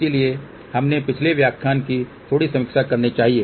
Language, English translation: Hindi, So, let us have a little bitreview of the previous lecture